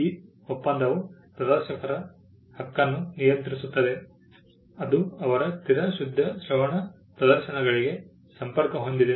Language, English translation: Kannada, The treaty governs the right of performers which were connected to their fixed purely aural performances